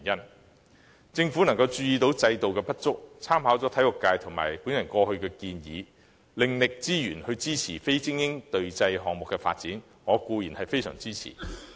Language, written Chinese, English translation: Cantonese, 對於政府能意識到制度的不足，參考體育界和我過往的建議，另覓資源支持非精英隊際項目的發展，我固然非常支持。, Certainly I am strongly supportive of the Governments efforts in with reference to the recommendations made by the sports sector and myself in the past seeking other resources to support the development of non - elite team sports games upon learning the inadequacies of the existing system